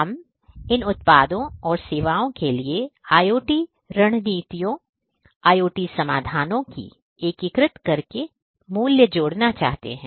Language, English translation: Hindi, We want to add value by integrating IoT strategies, IoT solutions to these products and services